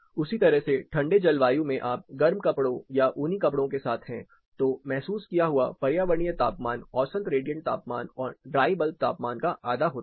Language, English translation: Hindi, Similarly, in cold climate when you are with heavier clothing say woolen wear the perceived environmental temperature is half of mean radiant temperature and half of dry bulb temperature this is also partly due to the amount of surface